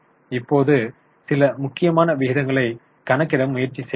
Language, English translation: Tamil, Now, let us try to calculate a few important ratios